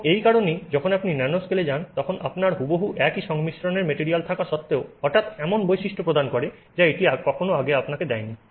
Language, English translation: Bengali, And that is the reason why when you go to the nanoscale you suddenly have exactly the same material in terms of composition, suddenly giving you properties that it did not previously give you